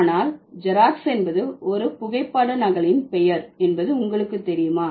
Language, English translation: Tamil, But do you know Xerox is the name of a photocopy or machine that became a generified term